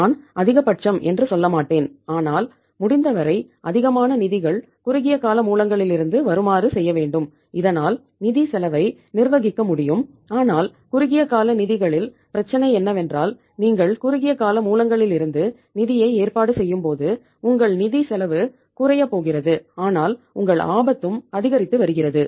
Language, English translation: Tamil, I would not say maximum but yes as much as possible funds from the short term sources so that the financial cost can be managed but you see the problem of the short term funds is that when you are arranging the funds from the short term sources your financial cost is going to go down but your risk is also increasing